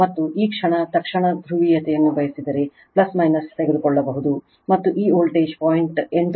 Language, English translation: Kannada, And if you want this instantaneous polarity, you can take plus minus, and this voltage is 0